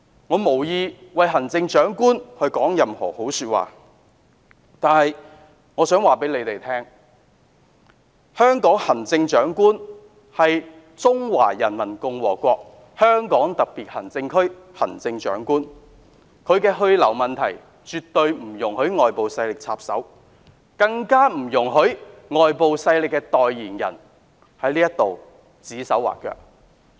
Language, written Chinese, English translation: Cantonese, 我無意為行政長官說任何好話，但我想告訴這些議員，香港行政長官是中華人民共和國香港特別行政區行政長官，她的去留問題，絕不容許外部勢力插手，更不容許外部勢力的代言人在此指手畫腳。, Well I have no intention of speaking favourably of the Chief Executive in her defence but I wish to tell these Members this The Chief Executive of Hong Kong is the Chief Executive of the Hong Kong Special Administrative Region of the Peoples Republic of China and whether she will stay in her current post or step down allows no intervention from any external forces let alone those spokesmen of external forces